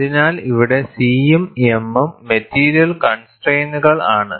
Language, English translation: Malayalam, So, here C and m are material constants